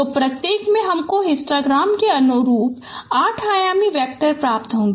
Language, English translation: Hindi, So each one will give you 8 dimensional vectors corresponding to each histogram